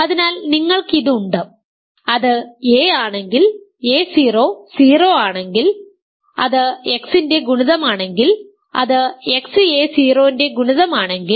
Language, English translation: Malayalam, So, you have this, if it is a if a 0 is 0 it is a multiple of X if it is a multiple of X a 0 is 0